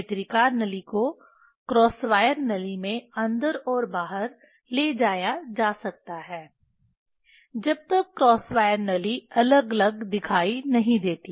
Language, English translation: Hindi, Eyepiece tube can be moved in and out into the cross wire tube until the cross wire tube appears distinct